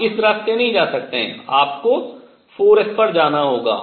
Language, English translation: Hindi, You cannot go this way; you have to go to 4 s